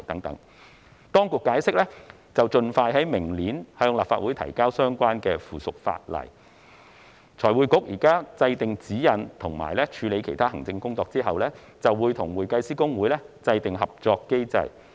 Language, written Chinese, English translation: Cantonese, 當局解釋將盡快在明年向立法會提交相關附屬法例，財匯局現時制訂指引和處理其他行政工作後，會與會計師公會制訂合作機制。, The Administration has explained that the relevant subsidiary legislation will be tabled to the Legislative Council as soon as possible next year . After formulating the guidelines and handling other administrative work currently in progress FRC will develop a cooperation mechanism with HKICPA